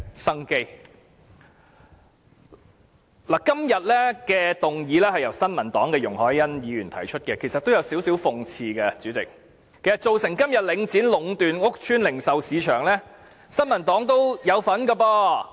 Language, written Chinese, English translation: Cantonese, 代理主席，今天的議案是由新民黨的容海恩議員提出，其實這也有點諷刺，因為新民黨也有份造成今天領展壟斷屋邨零售市場的局面。, Deputy President the motion today is proposed by Ms YUNG Hoi - yan of the New Peoples Party and this is actually a bit ironic because the New Peoples Party had a part to play in enabling Link REITs monopolization of retail markets in public housing estates nowadays